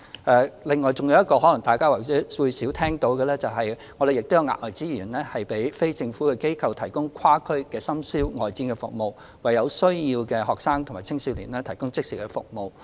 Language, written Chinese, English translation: Cantonese, 此外，還有一項大家可能較少聽聞的措施，就是提供額外資源，讓非政府機構提供跨區深宵外展服務，為有需要的學生及青少年提供即時服務。, Besides there is another measure which is less heard of ie . the provision of additional resources to NGOs for operating cross - district overnight outreach services to provide immediate services to students and youngsters in need